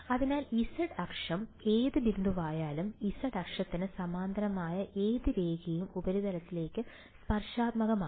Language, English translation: Malayalam, So, the z axis any point any line parallel to the z axis is tangential to the surface